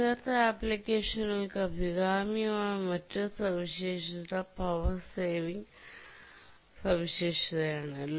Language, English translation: Malayalam, The other feature that is desirable for embedded applications is the power saving feature